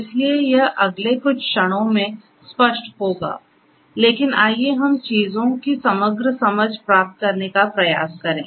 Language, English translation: Hindi, So, that this will make it clearer in the next few moments, but let us try to get an overall understanding of the things